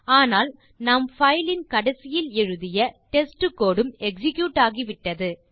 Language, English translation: Tamil, But the test code that we added at the end of the file is also executed